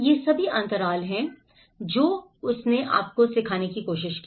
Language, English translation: Hindi, These are all the gaps he tried to teach you